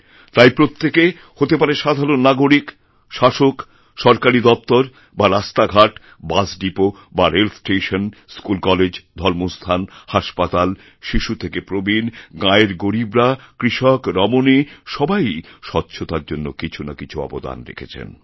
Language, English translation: Bengali, Everyone, be it a common citizen, an administrator, in Government offices or roads, bus stops or railways, schools or colleges, religious places, hospitals, from children to old persons, rural poor, farming women everyone is contributing something in achieving cleanliness